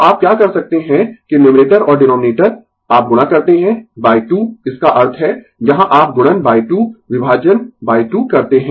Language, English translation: Hindi, So, what you can do is that numerator and denominator you multiply by 2 that means, here you multiplied by 2 right, divided by 2